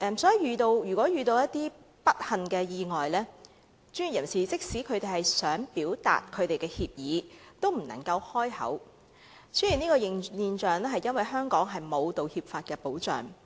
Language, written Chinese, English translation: Cantonese, 所以，如果遇上不幸意外的事宜，專業人士即使想表達歉意也不能開口，出現這種現象，是由於香港沒有道歉法的保障。, In this case it is difficult for professionals to apologize for some accidents even if they wish to do so . In fact such a phenomenon is a result of the absence of an apology law in Hong Kong